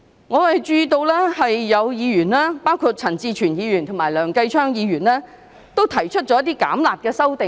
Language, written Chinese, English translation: Cantonese, 我注意到有議員，包括陳志全議員及梁繼昌議員，均提出一些"減辣"的修正案。, I noticed that some Members including Mr CHAN Chi - chuen and Mr Kenneth LEUNG have proposed amendments to reduce the penalty